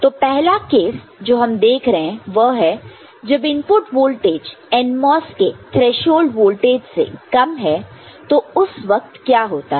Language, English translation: Hindi, So, the first zone that we look at is the case when the input voltage is less than the threshold voltage of the NMOS, ok